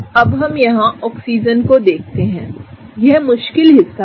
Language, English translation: Hindi, Now, let us look at the Oxygen’s here, this is the tricky part